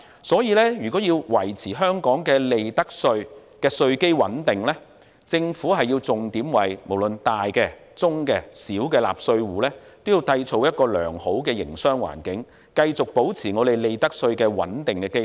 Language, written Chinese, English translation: Cantonese, 所以，如果要維持香港的利得稅的稅基穩定，政府便要重點為大、中、小納稅戶，營造良好的營商環境，繼續保持利得稅的穩定基礎。, Therefore to maintain a stable tax base for profits tax in Hong Kong the Government should focus its efforts on creating a good business environment for large medium and small tax - paying entities thereby maintaining a stable source of profits tax